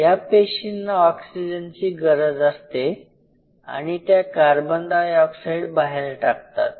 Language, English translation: Marathi, These cells out here have the first parameter they need Oxygen and they give out Carbon dioxide